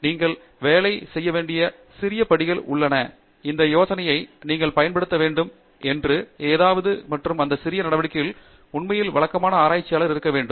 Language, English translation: Tamil, So, this idea that there are small steps that you have to work on is something that you have to get used to and for those small steps to occur you really need to be a regular researcher